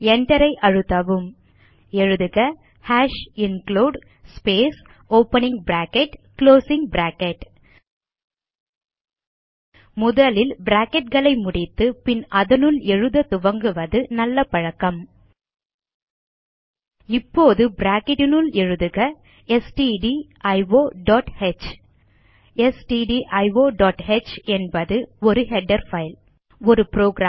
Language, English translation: Tamil, Now press Enter Type hash #include space opening bracket , closing bracket It is always a good practice to complete the brackets first, and then start writing inside it Now Inside the bracket, typestdio